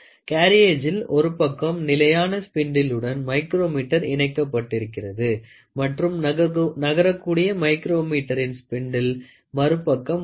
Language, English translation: Tamil, The carriage has a micrometer with fixed spindle on one side and a moving spindle of micrometer on the other side